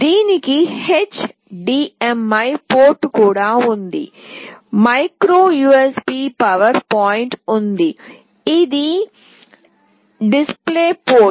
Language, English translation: Telugu, It also has a HDMI port, there is a micro USB power point, this is a display port